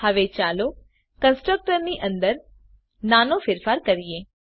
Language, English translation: Gujarati, Now, let us make a small change inside the constructor